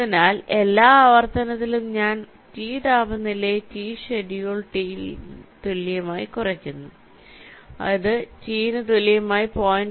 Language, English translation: Malayalam, so in every iteration i am reducing the temperature, t equal to schedule t